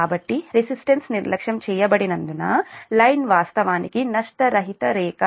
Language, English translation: Telugu, so as resistance is neglected means the line is actually lossless line